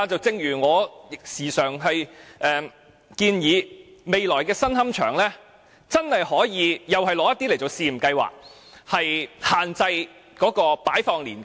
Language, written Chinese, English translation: Cantonese, 正如我經常建議在未來的新龕場，真的可以在部分地方進行試驗計劃，限制骨灰的擺放年期。, Similarly as I have often suggested a time limit for keeping ashes can also be set by the new columbaria in the future